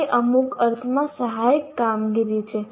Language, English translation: Gujarati, That is in some sense assisted performance